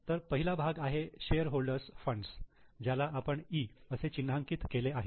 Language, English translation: Marathi, So, first part is shareholders funds which we have marked it as E